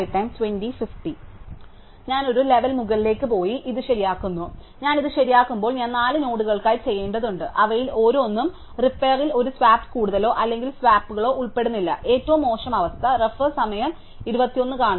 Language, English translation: Malayalam, So, then I go one level up and I fix these, when I fix these I have to do it for 4 nodes and each of them the repair will involve one swap at most or no swaps, worst case it will all be one swap